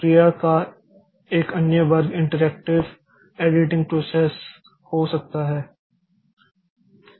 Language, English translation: Hindi, Another class of processes may be interactive editing processes